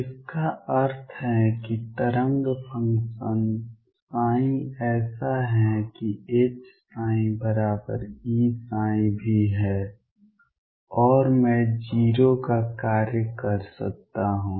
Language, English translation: Hindi, That means, the wave function psi such that H psi equals E psi is also and I can function of O